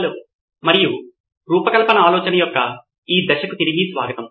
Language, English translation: Telugu, Hello and welcome back to this phase of design thinking